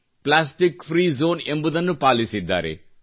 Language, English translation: Kannada, They ensured plastic free zones